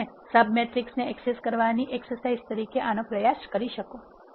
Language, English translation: Gujarati, You can try this as an exercise for accessing sub matrices